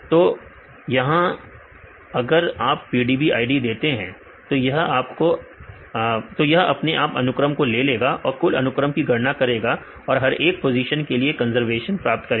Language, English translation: Hindi, So, you can here if you give the PDB id automatically it will get the sequence and calculate the overall sequences and get these conservation and for each positions